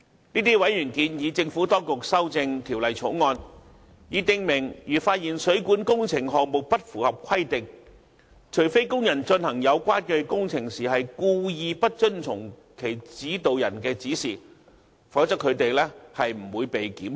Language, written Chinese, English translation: Cantonese, 這些委員建議政府當局修正《條例草案》，以訂明如發現水管工程項目不符合規定，除非工人進行有關工程時故意不遵從其指導人的指示，否則他們不會被檢控。, These members have suggested that the Administration should amend the Bill to specify that if a non - compliance is found in a plumbing project workers will not be prosecuted for an offence unless they have deliberately not followed the instruction of their instructing supervisors when carrying out the works concerned